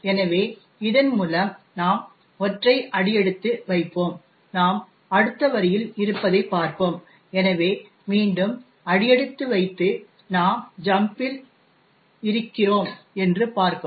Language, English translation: Tamil, step through this, see that we are in the next line, so we step again and see that we are at the jump